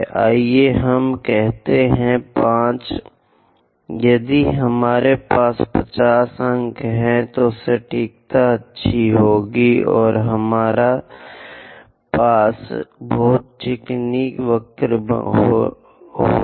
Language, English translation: Hindi, If we have 50 points, then accuracy will be nice, and we will have a very smooth curve